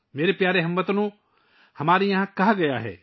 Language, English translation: Urdu, My dear countrymen, we it has been said here